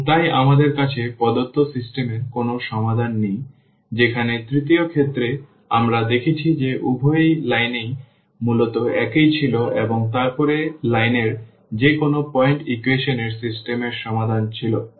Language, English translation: Bengali, And hence we do not have any solution to the given system whereas, the third case we have seen that that the both lines were basically the same and then any point on the line was the solution of the system of equation